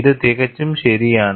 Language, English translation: Malayalam, This is perfectly alright